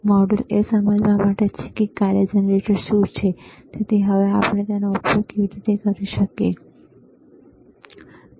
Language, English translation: Gujarati, tThe module is to understand that what is function generator is and how we can use it, all right